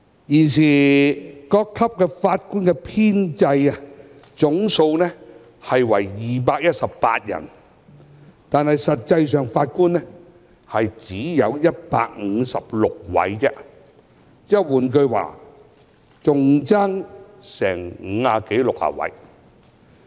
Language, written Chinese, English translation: Cantonese, 現時各級法官的編制總數為218人，但實際人數只有156人，換言之，空缺達五六十人。, At present the establishment of Judges at various levels of court stands at a total of 218 but the strength is only 156 . In other words there are 50 to 60 vacancies